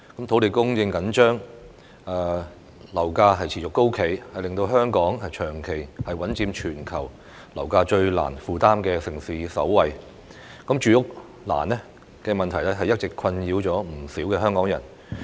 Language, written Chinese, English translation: Cantonese, 土地供應緊張，樓價持續高企，令香港長期穩佔全球樓價最難負擔的城市首位，住屋難的問題一直困擾着不少香港人。, Given the tight land supply and persistently high property prices Hong Kong has been the worlds most unaffordable city in terms of property prices for a long time . The housing problem has all along troubled many Hong Kong people